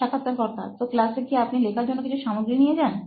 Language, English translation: Bengali, So in classroom do you carry any kind of material to write